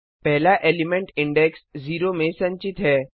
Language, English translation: Hindi, The first element is stored at index 0